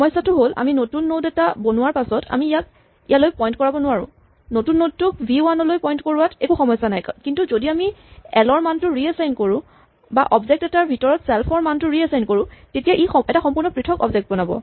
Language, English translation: Assamese, The problem with this really is that after we create a new node we cannot make this point here and this point here there is no problem in making the new node point to v 1, but if we reassign the value of l or inside a object if we reassign the value of self then this creates a completely different object